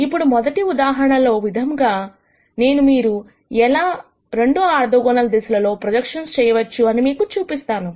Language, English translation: Telugu, Now as the first case I am going to show you how you do projections on 2 orthogonal directions